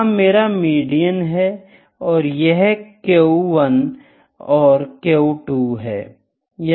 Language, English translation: Hindi, Hence, as I discussed this is my median and this is Q 1 and Q 2